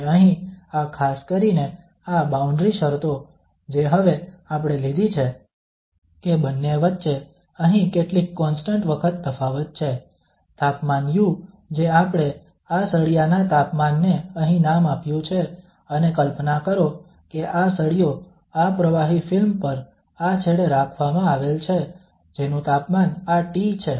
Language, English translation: Gujarati, And here this in particular, these boundary conditions now which we have taken that some constant times the difference here of the two, the temperature u which is we have named the temperature of this bar here and just imagine that this bar is kept at this fluid film here at this end whose temperature is this T f